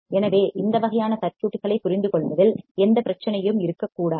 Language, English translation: Tamil, So, there should be no problem in understanding these kind of circuits